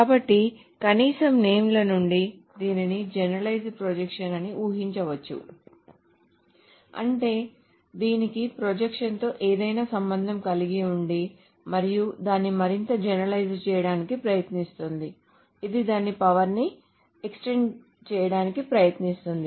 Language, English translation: Telugu, So at least from the names, it can be guessed that this is a generalized projection, that means it has got something to do with the projection and tries to make it more generalized, so it tries to extend its power